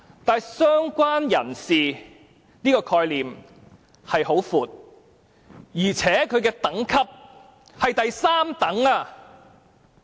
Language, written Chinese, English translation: Cantonese, 但是，"相關人士"的概念甚為廣闊，而且其等級屬第三等。, However the concept of related person is very broad and he comes third in the order of priority